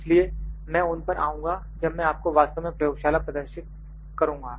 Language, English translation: Hindi, So, I will come to them when I will actually show you the lab demonstrations